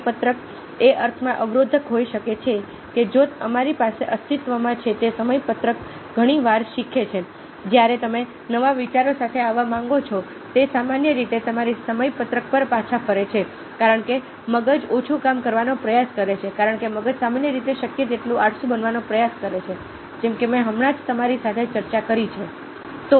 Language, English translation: Gujarati, schema can be in nugatory in the sense that if we have existing schema, very often learning the movement you want to come up with new ideas, it generally go back to your schema because there is a tendency of the brain trying to do less work, because the brain is attempt general to be as lazy as possible, as i have just discussed with you